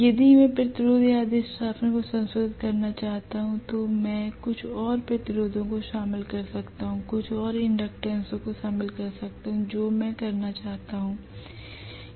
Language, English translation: Hindi, If I want to modify the resistance or inductance I can include some more resistance, include some more inductance whatever I want to do